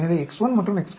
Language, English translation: Tamil, So, X 1 and X 4